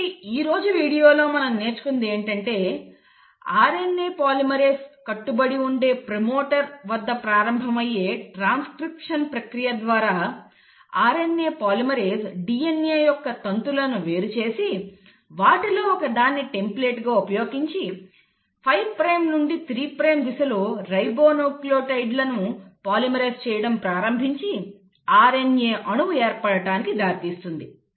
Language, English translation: Telugu, So in today’s video what we have learnt is that through the process of transcription which starts at the promoter, where the RNA polymerase binds, and this RNA polymerase separates the strands of the DNA, uses one of them as a template and then from a 5 prime to 3 prime direction it starts polymerising the ribonucleotides leading to formation of an RNA molecule